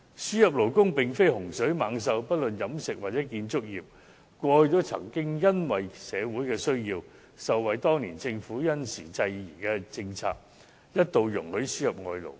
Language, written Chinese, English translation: Cantonese, 輸入勞工並非洪水猛獸，無論飲食業或建築業，過去也曾因社會需要而受惠於當年政府因時制宜的政策，一度容許輸入外勞。, The importation of labour is not a calamity . The catering and construction industries also benefited from the timely policies of the government in the past because of the social needs then